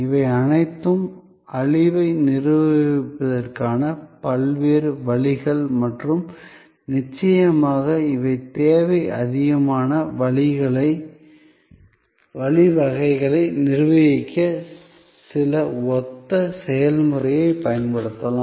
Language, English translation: Tamil, These are all different ways of managing the perishability and of course, these are certain similar processes can be used to manage demand overflow